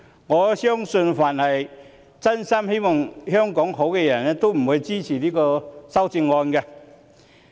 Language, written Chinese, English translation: Cantonese, 我相信凡是真心希望香港好的人也不會支持這些修正案。, I believe that anyone who truly wishes for a good Hong Kong will not support these amendments